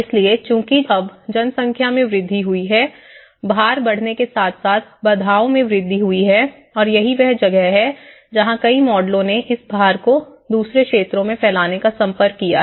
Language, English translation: Hindi, So now, as the population have increased as the constraints have increased as the load has increased and that is where many of the models have approached on spreading the load to the other sectors the other bodies